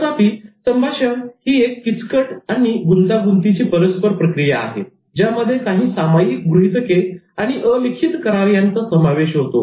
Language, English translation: Marathi, Communication, however, is a complex interactive process involving shared assumptions and unspoken agreements